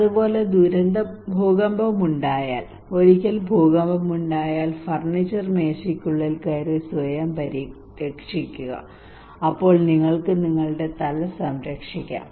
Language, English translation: Malayalam, Similarly, if there is an earthquake if we tell people that once there is an earthquake, please protect yourself by going inside the furniture table, then you can protect your head